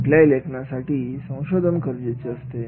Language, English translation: Marathi, Every writing task requires research